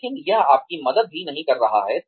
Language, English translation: Hindi, But, it is not also helping you